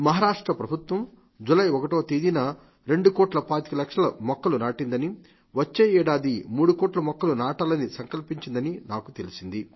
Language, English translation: Telugu, I have been told that the Maharashtra government planted about 2 crores sapling in the entire state on 1st July and next year they have taken a pledge to plant about 3 crores trees